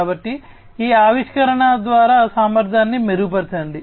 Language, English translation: Telugu, So, improve upon the efficiency through this innovation